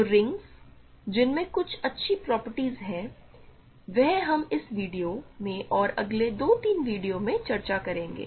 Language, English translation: Hindi, So, the rings which have certain nice properties and we will discuss these in this video and next 2 or 3 videos ok